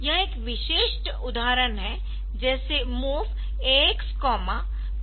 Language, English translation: Hindi, So, this is a typical example like MOV AX BX plus 08H